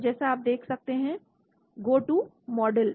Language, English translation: Hindi, So as you can see go to models